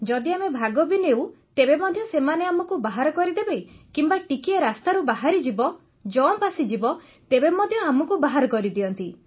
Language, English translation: Odia, Even if we run, they will expel us or even if we get off the road a little, they will declare us out even if there is a jump